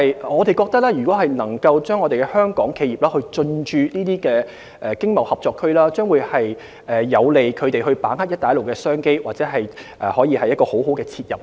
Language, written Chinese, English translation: Cantonese, 我們認為香港企業如能進駐這些經貿合作區，將有利它們把握"一帶一路"的商機，這是一個很好的切入點。, We consider that Hong Kong enterprises will have a better chance of tapping business opportunities brought by the BR Initiative if they can establish a presence in these ETCZs